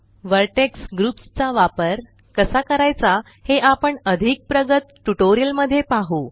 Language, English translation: Marathi, We shall see how to use Vertex groups in more advanced tutorials